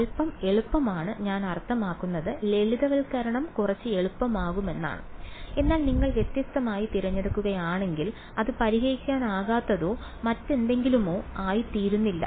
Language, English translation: Malayalam, Little bit easier I mean the simplification gets a little bit easier, but if you choose different, it is not that it becomes unsolvable or whatever